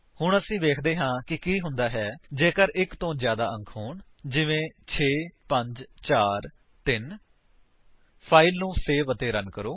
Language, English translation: Punjabi, Now let us see what happens if there are more than one digits like 6543 Save the file and run it